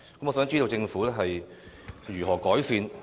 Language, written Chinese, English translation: Cantonese, 我想知道政府會如何改善？, How is the Government going to improve the situation?